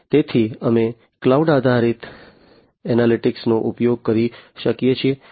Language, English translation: Gujarati, So, we can use cloud based analytics